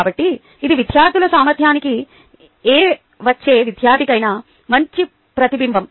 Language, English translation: Telugu, so this is a good reflection of the ability of students, any student who comes in